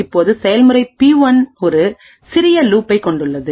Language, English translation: Tamil, Now, process P1 has a small loop which looks something like this